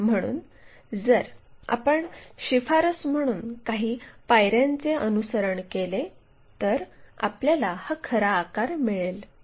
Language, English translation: Marathi, So, if we are following few steps as a recommendation, then we will get this true shape